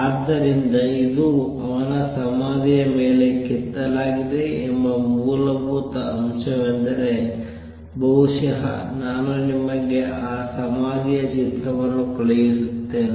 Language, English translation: Kannada, So, fundamental that it is also engraved on his tombstone and over the forum maybe I will send you a picture of that tombstone